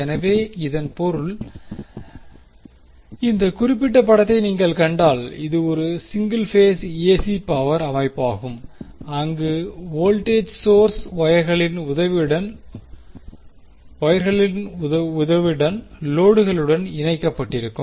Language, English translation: Tamil, So, that means, if you see this particular figure, this is a single phase AC power system where you have voltage source connected to the load with the help of the pair of wires